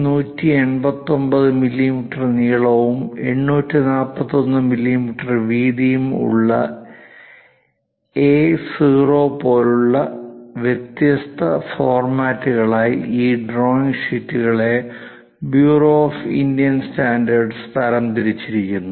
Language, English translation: Malayalam, The typical standards bureau of Indian standards recommends for any drawing, categorizing these drawing sheets into different formats like A0, which is having a length of 1189 millimeters and a width of 841 millimeters